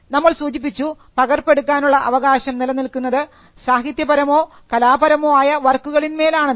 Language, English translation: Malayalam, Now by this we referred the right to make copies if it is a literary or an artistic work